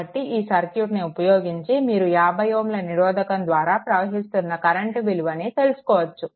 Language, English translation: Telugu, So, you will get the current and that is the current flowing to 50 ohm resistance